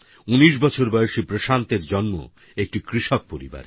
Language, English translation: Bengali, Prashant, 19, hails from an agrarian family